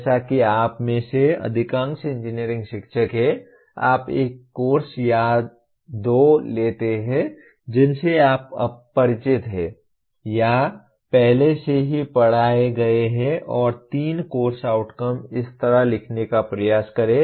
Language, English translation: Hindi, As majority of you are engineering teachers, you pick the a course or two you are familiar with or taught already and try to write three course outcomes as such